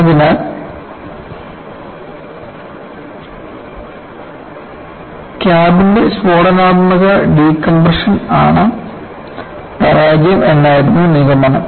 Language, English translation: Malayalam, So,the conclusion was that the failure was due to explosive decompression the cabin